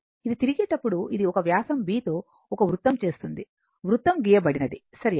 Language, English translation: Telugu, When it is revolving, it is making a diameter your B and this is a circle, circle is drawn, right